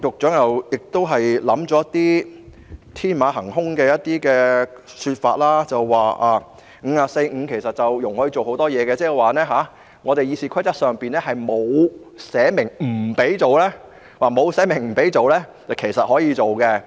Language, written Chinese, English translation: Cantonese, 當然，局長提出了天馬行空的說法，指《議事規則》第545條容許大家運用很多程序，意味着《議事規則》上沒有寫明不能做的，其實就是可以做。, Of course the Secretary has introduced an innovative idea beyond our imagination saying that Rule 545 of the Rules of Procedure allows us to make use of many procedures . This implies that anything which is not disallowed in the Rules of Procedure can actually be done